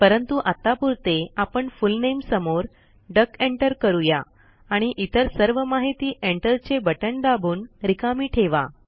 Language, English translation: Marathi, But for the time being, I will enter only the Full Name as duck and leave the rest of the details blank by pressing the Enter key